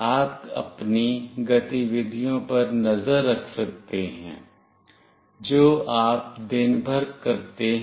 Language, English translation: Hindi, You can keep a track of your activities that you are doing throughout the day